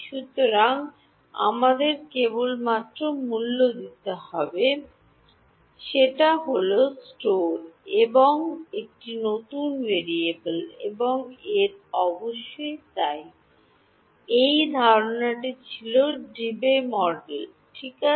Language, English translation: Bengali, So, the only price we have to pay is store yeah store one new variable and of course the so, this was the assumption was Debye model ok